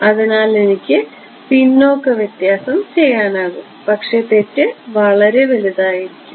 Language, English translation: Malayalam, So, I could do backward difference, but error is high ok